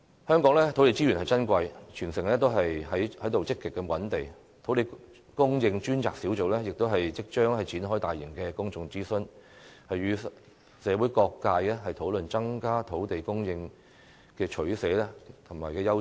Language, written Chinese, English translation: Cantonese, 香港土地資源珍貴，全城都在積極覓地，土地供應專責小組即將展開大型公眾諮詢，與社會各界討論增加土地供應的取捨和優次。, Land resources in Hong Kong are precious and the whole city is now actively identifying land . The Task Force on Land Supply will soon conduct a large - scale public consultation to jointly discuss with various social sectors the options and priorities in increasing land supply